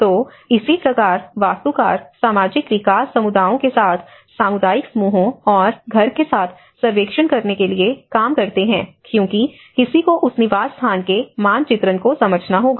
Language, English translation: Hindi, So, similarly the architects work with the social development agencies to carry out surveys with community groups and house because one has to understand that habitat mapping exercise